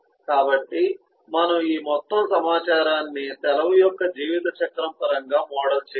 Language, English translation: Telugu, so we can model this whole information in terms of a lifecycle of a leave